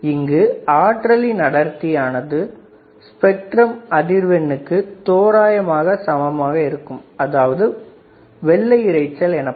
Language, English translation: Tamil, Now, power density is nearly equal to the frequency spectrum approximately the white noise